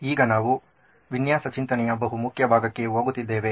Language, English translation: Kannada, Now we are going into a very, very important part of design thinking